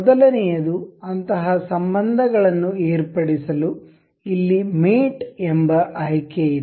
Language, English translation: Kannada, First is to to do such relations with there is an option called mate here